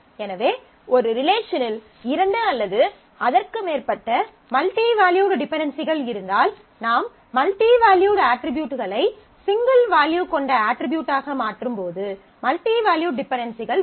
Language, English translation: Tamil, So, if 2 or more multi valued dependencies exist in a relation, then while we convert the we convert multivalued attributes into single valued attributes, then the multi value dependency will show up